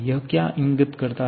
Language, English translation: Hindi, What does it indicate